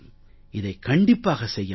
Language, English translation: Tamil, This can surely be done